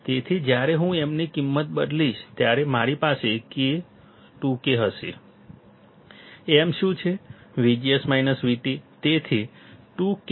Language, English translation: Gujarati, So, when I substitute value of m, I will have 2 K; m is what